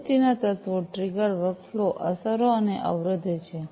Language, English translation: Gujarati, The elements of an activity are triggered, workflow, effects and constraints